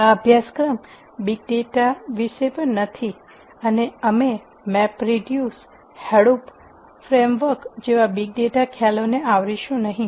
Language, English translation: Gujarati, This course is also not about big data per se and we are not going to cover big data concepts such as map reduce, hadoop frameworks and so on